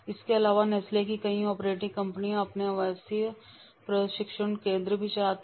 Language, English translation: Hindi, In addition, a number of Nestle's operating companies run their own residential training centers